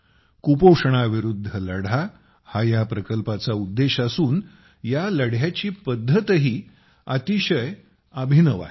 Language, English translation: Marathi, The purpose of this project is to fight against malnutrition and the method too is very unique